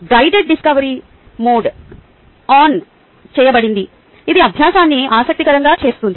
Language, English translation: Telugu, a guided discovery mode is turned on, which makes learning interesting